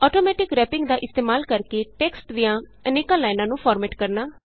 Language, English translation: Punjabi, Formatting multiple lines of text using Automatic Wrapping